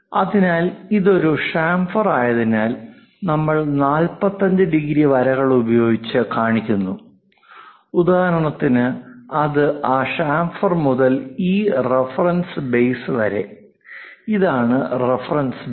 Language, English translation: Malayalam, So, because it is a chamfer, we are showing 45 degrees for example, and that is from that chamfer to this reference base, this is the reference base